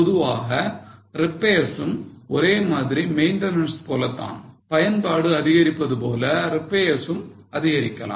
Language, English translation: Tamil, Normally repairs again similar to maintenance as the usage increase the repairs are likely to increase